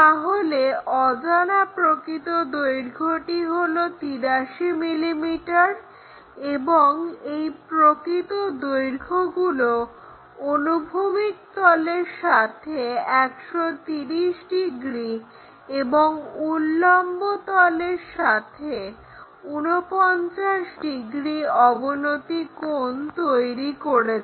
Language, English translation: Bengali, So, the unknowns true length is 83 mm and the apparent the inclination angles made by this true line with horizontal plane is 31 degrees and with the vertical plane is 49 degrees